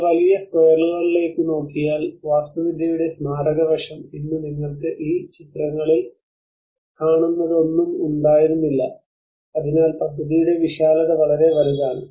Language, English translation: Malayalam, So if you look at a huge squares the monumental aspect of architecture and today what you are seeing in these pictures is no one is present, so the vastness of the project is so huge